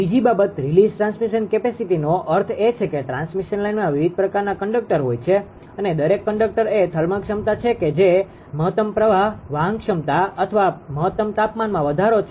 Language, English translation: Gujarati, Second thing a release transmission capacity is idea release transmission capacity means that in the transmission line that you have different type of conductors right, you have different type of conductors and every every conductor that is thermal capability that is the maximum current carrying capacity or maximum temperature rise